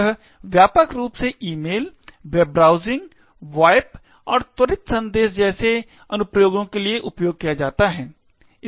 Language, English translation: Hindi, It is widely used for applications such as email, web browsing, VoIP and instant messaging